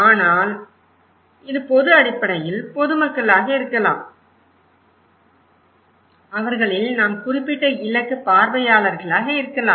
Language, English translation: Tamil, So, it could be general basically, general public but we among them may be particular target audience